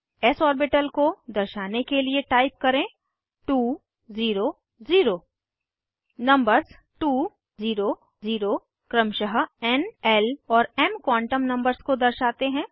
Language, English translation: Hindi, type 2 0 0 The Numbers 2, 0, 0 represent n, l and m quantum numbers respectively